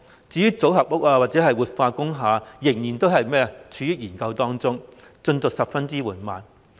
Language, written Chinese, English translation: Cantonese, 至於組合屋或活化工廈則尚在研究階段，進度十分緩慢。, Modular housing and revitalization of industrial buildings are still under study and the progress is very slow